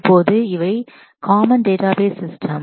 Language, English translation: Tamil, Now, these are the common database systems